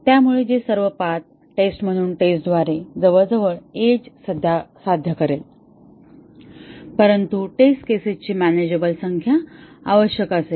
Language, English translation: Marathi, So, which will achieve almost edge through testing as all path testing, but will require a manageable number of test cases